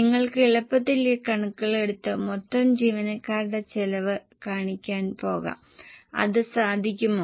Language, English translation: Malayalam, You can easily take these figures and go for showing the total employee costs getting it